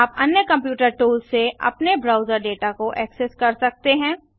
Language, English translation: Hindi, You can access your browser data from the other computer tools